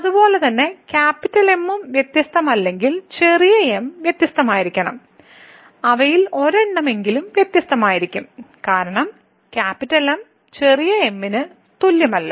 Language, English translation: Malayalam, Similarly we will consider later on if is not different then the small should be different at least one of them will be different because is not equal to small